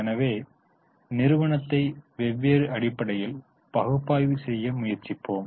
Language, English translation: Tamil, So, we will try to analyze the company on different basis